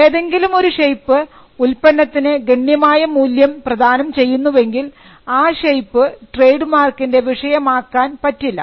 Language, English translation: Malayalam, When a shape gives a substantial value to the good, then that shape cannot be a subject matter of a mark